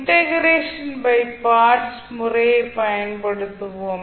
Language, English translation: Tamil, We will use the integration by parts method